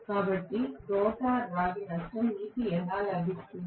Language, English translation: Telugu, So, rotor copper loss how will you get it